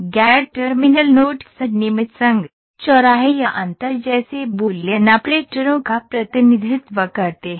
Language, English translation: Hindi, Non terminal nodes represent Boolean operations, such as regularised union intersection or different